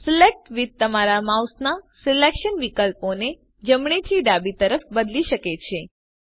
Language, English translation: Gujarati, Select with can change the selection option of your mouse from right to left